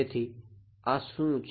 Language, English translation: Gujarati, So, that should be